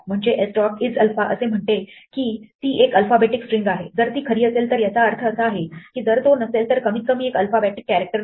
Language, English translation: Marathi, So that is what s dot is alpha says is it an alphabetic string, if it is true it means it is, if it is not it has at least one non alphabetic character